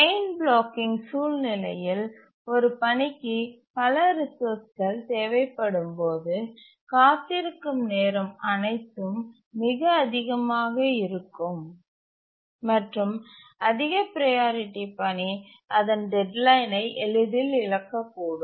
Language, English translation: Tamil, And in the chain blocking situation when a task needs multiple resources, the waiting time altogether can be very high and a high priority task can easily miss the deadline